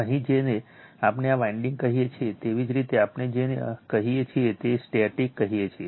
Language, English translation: Gujarati, Here what we call this winding are called your what we call this we call that static